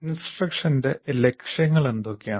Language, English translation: Malayalam, Now instructional outcomes, what is the goal